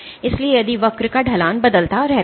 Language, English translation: Hindi, So, if the slope of the curve keeps on changing